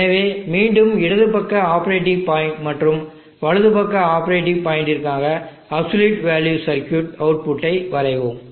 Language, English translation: Tamil, So let us draw the output of the area circuit absolute value circuit again for the left side operating point and the right side operating point